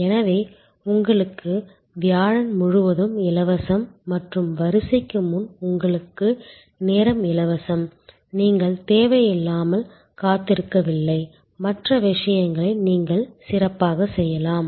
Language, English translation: Tamil, So, you have the whole of Thursday free and you have time free before the queue you are not unnecessarily waiting, you can do other things productive